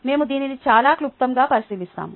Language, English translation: Telugu, ok, we will very briefly look at this